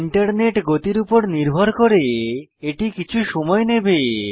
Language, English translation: Bengali, This may take some time depending on your internet speed